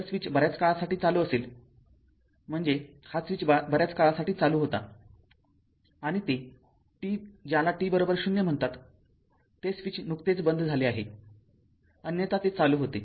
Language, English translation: Marathi, If the switch is closed for long time means, this switch was closed for long time right and that t your what you call t is equal to 0, the switch is just opened otherwise it was close